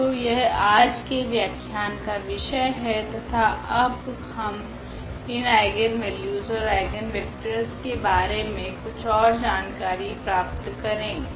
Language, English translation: Hindi, So, that is the topic of today’s lecture and we will go little more into the detail now about these eigenvalues and eigenvectors